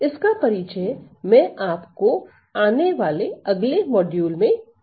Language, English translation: Hindi, So, this will be introduced in our coming upcoming next module now